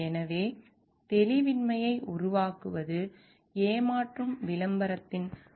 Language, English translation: Tamil, So, by creating ambiguity is one of the like qualities of deceptive advertising